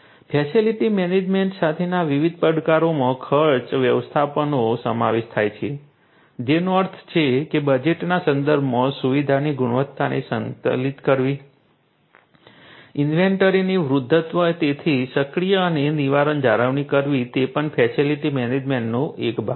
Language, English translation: Gujarati, Different challenges with facility management include cost management; that means, balancing the quality of the facility with respect to the budget, aging of the inventory so, taking proactive and preventive maintenance you know these are also part of this facility management